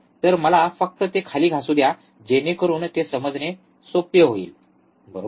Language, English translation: Marathi, So, let me just rub it down so, it becomes easy to understand, right